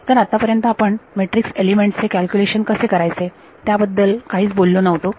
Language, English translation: Marathi, So, far we did not talk at all about how we will calculate matrix elements right